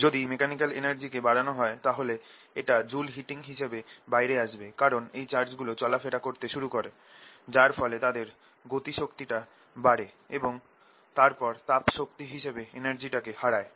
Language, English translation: Bengali, if you increase the mechanical energy, it may finally come out as joule heating, because these charges start moving around, gain kinetic energy and then lose it as heat